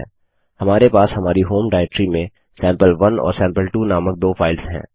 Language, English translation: Hindi, Let us see how cmp works.We have two files named sample1 and sample2 in our home directory